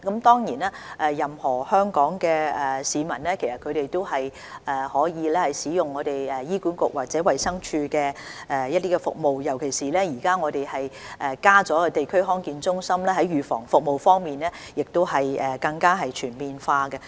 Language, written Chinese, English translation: Cantonese, 當然，任何香港市民都可以使用醫院管理局或衞生署的服務，尤其是現在加設了地區康健中心，預防服務已更為全面。, Certainly any Hong Kong citizen may use the services of the Hospital Authority or DH particularly when preventive services have become more comprehensive since District Health Centres have been put in place